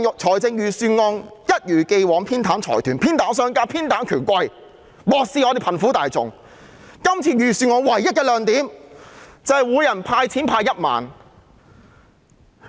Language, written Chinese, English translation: Cantonese, 這份預算案一如既往偏袒財團、商家和權貴，漠視貧苦大眾，唯一亮點就是每人派發1萬元現金。, This Budget as always gives favouritism to consortia merchants and dignitaries to the neglect of the underprivileged . The only bright spot is the universal cash payout of 10,000